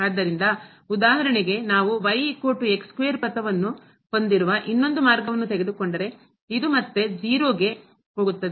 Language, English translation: Kannada, So, for example, if we take another path where is equal to square path so, this is again going to 0 to origin